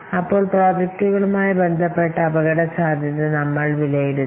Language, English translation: Malayalam, Then we have to assess the risks involved with the projects